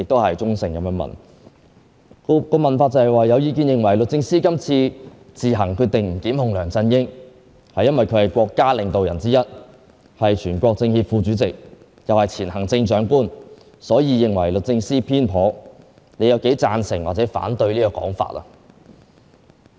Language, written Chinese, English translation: Cantonese, 其中一項問題是："有意見認為律政司今次自行決定不檢控梁振英，係因為佢係國家領導之一、係全國政協副主席，又係前行政長官，所以認為律政司偏頗，你有幾贊成或者反對整個講法......, One of the questions asks There has been a saying that the Secretary for Justice decided not to prosecute CY Leung at her sole discretion because Leung is one of the national leaders the CPPCC Vice - Chairman and former Chief Executive and that she is biased